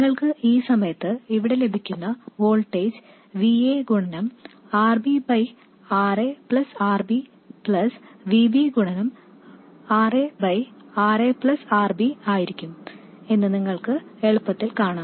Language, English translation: Malayalam, You will easily see that the voltage that you get here at this point would be VA times RB by RA plus RB plus VB times RA by RA plus RB